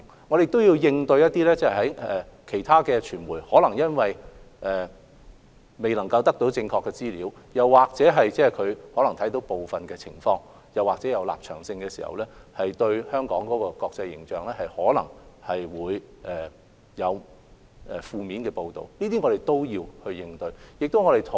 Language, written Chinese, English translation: Cantonese, 我們亦要應對其他傳媒，他們或許未能獲取正確的資料，或者他們可能只看到部分情況，又或本身有立場，因而可能作出影響香港國際形象的負面報道，我們亦要應對這些情況。, We also have to respond to other media which may not be able to obtain accurate information or they may only see part of the situation or they may have their own stances so they may make negative reports that would tarnish Hong Kongs international image . We need to respond to these situations as well